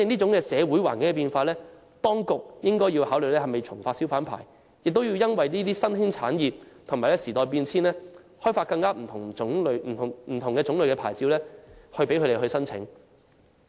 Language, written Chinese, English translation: Cantonese, 因應社會環境變化，當局是否應該考慮重新發出小販牌照，並且因應新興產業和時代變遷，提供更多不同類型的牌照呢？, In light of the changes in our social environment should the authorities not consider issuing hawker licences afresh and providing a greater variety of licences having regard to the emerging industries and changes in times?